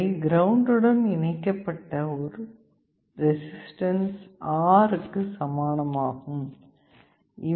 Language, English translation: Tamil, This is equivalent to a single resistance R connected to ground